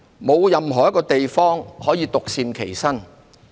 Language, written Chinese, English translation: Cantonese, 沒有任何地方可以獨善其身。, No place on earth can stay aloof and remain unaffected